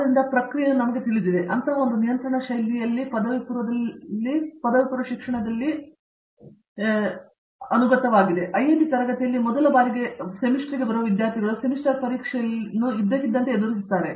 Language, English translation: Kannada, So, the process runs you know, runs in such a control fashion that students who are coming in for the first time into the IIT classroom, kind of they are surprised by the when the semester suddenly you face in semester exam and the semester is over